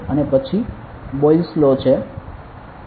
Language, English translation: Gujarati, And then there is Boyle’s law ok